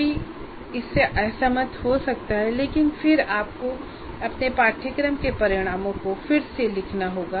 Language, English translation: Hindi, You may, one may disagree with that but then you have to reword your course outcomes to modify this state, modify these numbers